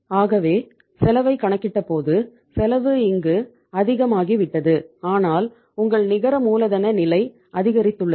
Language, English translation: Tamil, So when we calculated the cost, cost had gone up more here but your net working capital level has increased